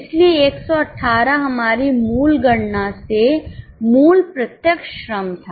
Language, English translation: Hindi, So, 118 was the original direct labor from our original calculation